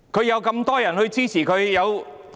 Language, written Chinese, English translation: Cantonese, 有這麼多議員支持她。, So many Members supported her